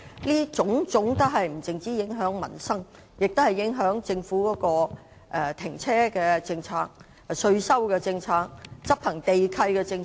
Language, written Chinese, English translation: Cantonese, 這種種問題不僅影響民生，還會影響政府的停車場政策、稅收政策和執行地契的政策。, These issues do not merely affect peoples livelihood but will also affect the car park policy taxation policy and the enforcement of land lease of the Government